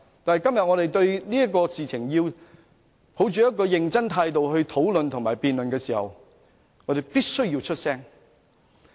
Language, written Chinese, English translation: Cantonese, 但當我們今天以一種認真的態度討論及辯論這件事時，我們必須發聲。, But when we discuss and debate this issue in a serious manner today we must voice our opinions